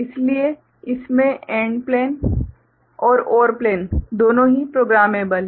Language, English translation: Hindi, So, in this, both AND plane and OR plane are programmable ok